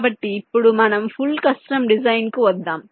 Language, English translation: Telugu, so now let us come to the extreme: full custom design